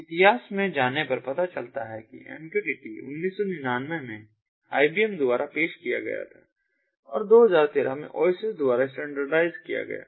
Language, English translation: Hindi, mqtt, going back to the history, was introduced in nineteen ninety nine by ibm and is standardized in two thousand thirteen by oasis